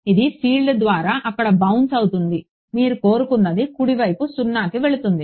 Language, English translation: Telugu, It will bounce there by the field goes to 0 right which is what you wanted